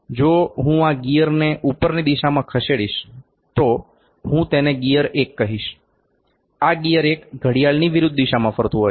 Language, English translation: Gujarati, If I move it in an upward direction this gear, I will call it gear 1 this gear 1 is rotating in anti clockwise direction